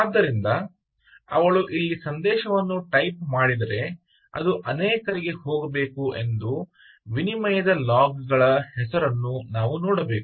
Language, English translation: Kannada, so if she types a message here, it should go to many and we should see the logs, ah, name of the exchange, actually incrementing that